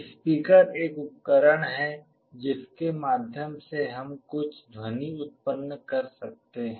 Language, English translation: Hindi, A speaker is a device through which we can generate some sound